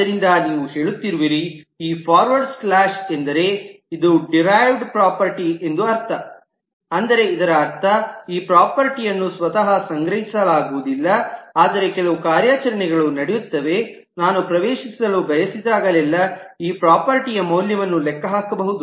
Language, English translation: Kannada, So you are saying this forward slash means that this is a derived property, which means that this property by itself will not be stored, but there will be some operation through which the value of this property can be computed whenever I want to access it